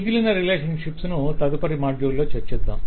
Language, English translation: Telugu, the remaining relationships will be discussed in the next module